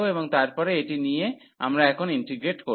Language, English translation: Bengali, And then taking this one we will integrate now